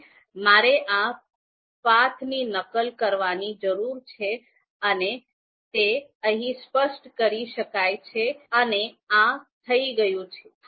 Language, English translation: Gujarati, So first, I need to copy this path and this I can you know specify here, so this is done